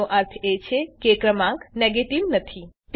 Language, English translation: Gujarati, It means that the number is non negative